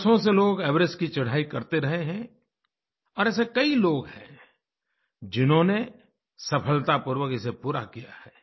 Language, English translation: Hindi, People have been ascending the Everest for years & many have managed to reach the peak successfully